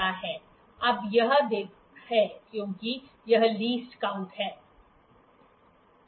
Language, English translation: Hindi, Now this gives because this is the least count